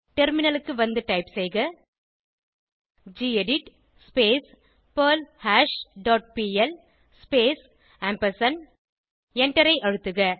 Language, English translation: Tamil, Switch to terminal and type gedit perlHash dot pl space and press Enter